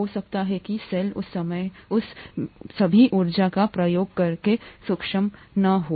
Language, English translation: Hindi, The cell may not be able to use all that energy at that time